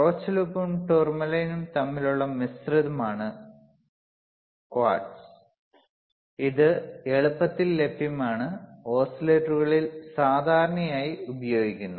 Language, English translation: Malayalam, Q quartz is a compromise between Rochelle salt and tourmaline and is easily available and very commonly used in oscillators, very commonly used in oscillators alright